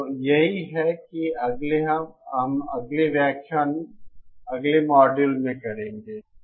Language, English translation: Hindi, So that is what we will be doing in the next lecture, next module